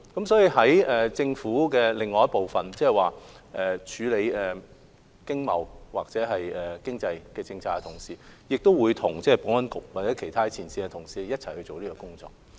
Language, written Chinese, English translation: Cantonese, 所以，在政府內處理經貿或經濟政策的同事，亦會與保安局或其他前線同事一起工作。, Therefore our colleagues responsible for dealing with trade or economic policies within the Government would also work with the Security Bureau or other frontline colleagues